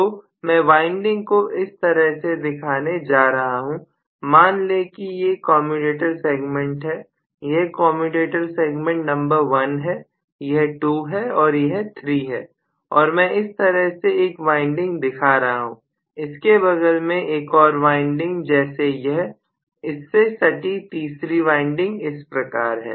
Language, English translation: Hindi, So I am going to represent the winding let us say these are commutator segments may be this is commutator segment number 1, this is 2 and this is 3 and I am showing one of the windings like this, another winding adjacent to it like this, the third winding adjacent to it like this